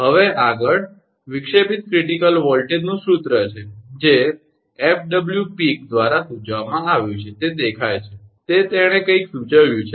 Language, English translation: Gujarati, Now, next is the formula for disruptive critical voltage, suggested by FW Peek, that is see he has suggested something